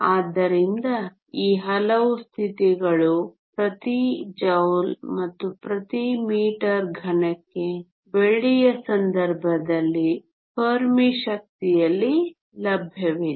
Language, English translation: Kannada, So, these many states are available per joule and per meter cube in the case of silver at the Fermi energy